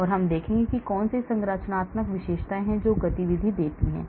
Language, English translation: Hindi, so I will look at what are the structural features that gives you activity